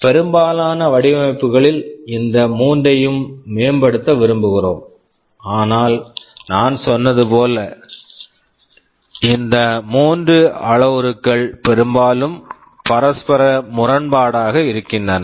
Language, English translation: Tamil, Well, in most designs, we want to improve on all these three, but as I had said these three are often mutually conflicting